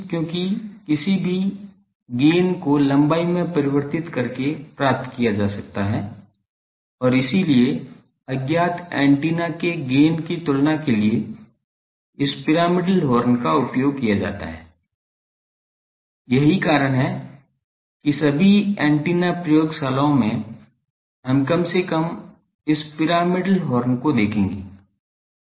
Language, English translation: Hindi, Because, any gain can be obtained by manipulating the length and so, also for comparison of gain of an unknown antenna, the this gains this pyramidal horns are used, that is why in all antenna laboratories we will see at least the this pyramidal horns, because they are they give standard gains